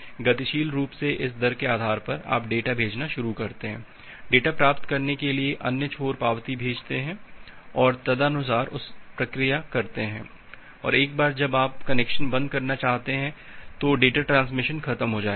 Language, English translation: Hindi, So, dynamically based on this rate, you start sending the data, other end to receive the data send back the acknowledgement and accordingly will process it and once you want to close the connection the data transmission is over